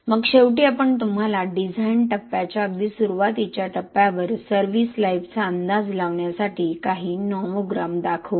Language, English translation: Marathi, Then towards the end we will show you some nomograms on estimating service life at the very early stages of design phase